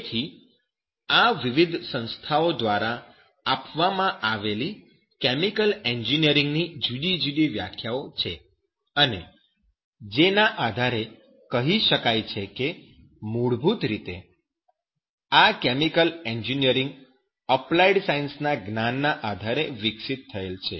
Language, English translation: Gujarati, And so these are the different definitions of the chemical engineering given by the different organizations and based on which can say that basically this chemical engineering which is developed based on the knowledge of applied sciences